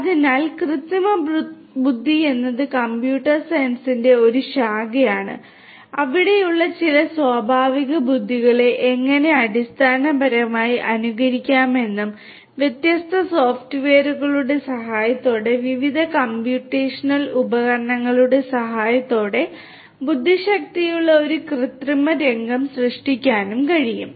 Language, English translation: Malayalam, So, artificial intelligence is a branch of computer science which talks about how to basically imitate some of the natural intelligence that is there and create an artificial scenario or artificial scenario of intelligence with the help of different computational devices with the help of different software and so on